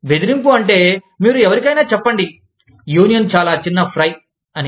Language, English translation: Telugu, Intimidation means, that you tell somebody, that the union is a very small fry